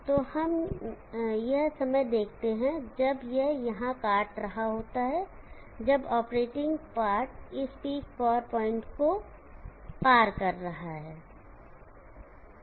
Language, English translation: Hindi, So let we take at some instant when it is crossing, when the operating part is crossing this peak power point